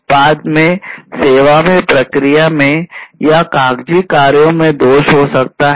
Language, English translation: Hindi, Defects defects can be in the product, in the service, in the process or in the paper works